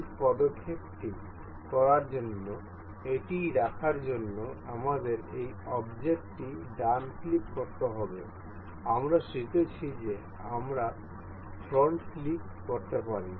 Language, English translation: Bengali, To keep it to make this move we have to right click this the object, we earned we can click on float